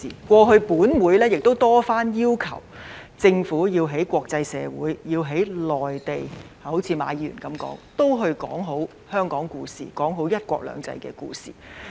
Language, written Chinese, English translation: Cantonese, 過去本會曾多番要求政府要在國際社會、內地，好像馬議員所說，說好香港故事，說好"一國兩制"的故事。, As Mr MA has said that this Council has repeatedly urged the Government to tell the Hong Kong story and the one country two systems story well in the international community and the Mainland